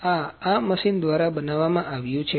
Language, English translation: Gujarati, This is produced with this machine